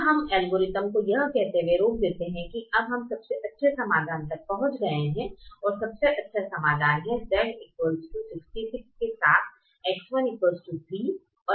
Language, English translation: Hindi, we now stop the algorithm by saying that we have reached the best solution, and the best solution is x one equal to three, x two equal to four, with z equal to sixty six